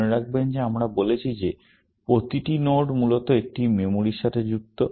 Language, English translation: Bengali, Remember that we said that every node is associated with a memory, essentially